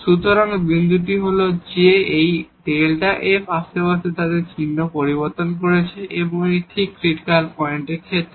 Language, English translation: Bengali, So, the point is that this delta f is changing its sign in the neighborhood and that is exactly the case of the critical point